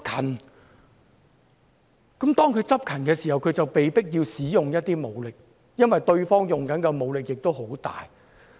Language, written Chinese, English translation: Cantonese, 當警方執勤的時候，就被迫要使用武力，因為對方使用的武力很大。, The police officers on duty have to resort to force when the other party is using very strong weapons